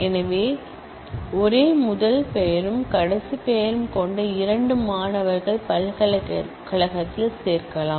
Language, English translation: Tamil, So, which mean that no, two students having the same first name and last name can be enrolled in the university